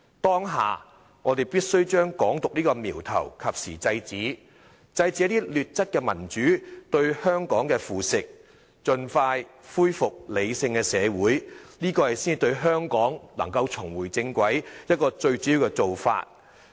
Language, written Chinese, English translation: Cantonese, 當下我們必須將"港獨"這個苗頭及時制止，制止一些劣質民主對香港的腐蝕，盡快恢復理性社會，這才是令香港能夠重回正軌的一個最主要做法。, Right now we must nip Hong Kong independence in the bud prevent poor - quality democracy from undermining Hong Kong and restore reason in society . This is the major way of putting Hong Kong back on the right track